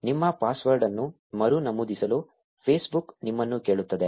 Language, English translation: Kannada, Facebook will ask you to reenter your password